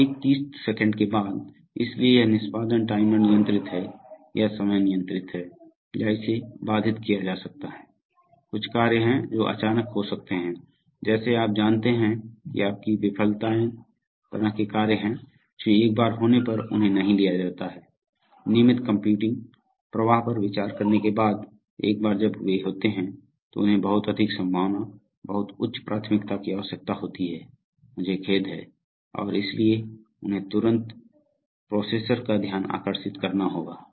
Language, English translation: Hindi, So exactly 30 seconds after, so this execution is timer controlled or time controlled or it could be interrupt driven, there are some tasks which can suddenly occur like, you know like your failures kind of tasks, which once they occur they are not taken into the consideration of the regular computing flow but once they occur they are required to have very high probability, very high priority, I am sorry and therefore they have to immediately get the attention of the processor